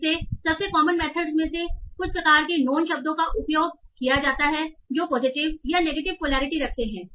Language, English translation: Hindi, Again, the most common method is using some sort of known words that are having positive or negative poliity